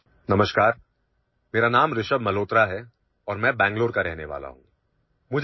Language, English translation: Urdu, Hello, my name is Rishabh Malhotra and I am from Bengaluru